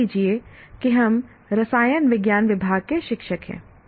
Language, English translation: Hindi, Let's say we are a teacher of chemistry department